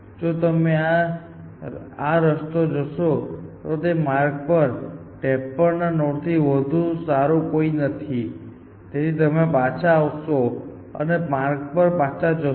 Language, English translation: Gujarati, So, if I going down this path, there is no node better than 53 in this path, it will roll back from here, and go down this path again